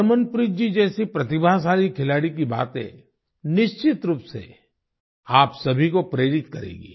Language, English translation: Hindi, The words of a talented player like Harmanpreet ji will definitely inspire you all